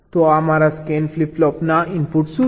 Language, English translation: Gujarati, so what are the inputs of my scan flip flop